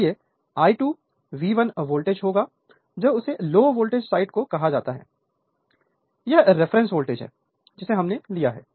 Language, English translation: Hindi, Therefore, I 2 dash will be that V 1 the voltage your what you call that low voltage side, this is the reference voltage we have taken